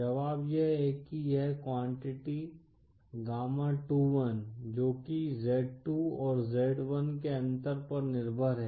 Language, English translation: Hindi, The solution is that this quantity, gamma 21 which is dependent on the difference of z2 & z1